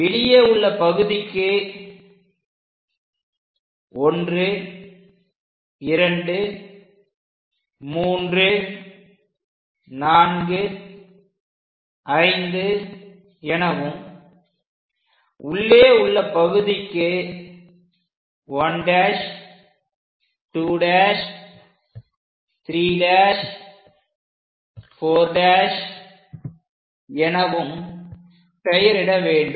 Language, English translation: Tamil, The outer ones we are going to name it as 1, 2, 3, 4, 5; inner ones we are going to name it like 1 dash, 2 dash, 3 dash, 4 dash and so on